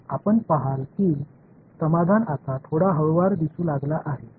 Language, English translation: Marathi, You see that the solution is beginning to look a little bit smoother now right